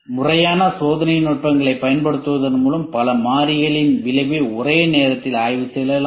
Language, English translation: Tamil, By using formal experimental techniques the effect of many variables can be studied at one time